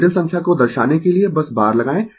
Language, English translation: Hindi, Put simply bar to represent the complex number